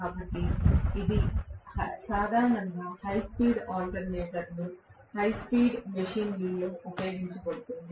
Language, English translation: Telugu, So this is generally used in high speed alternator or high speed machines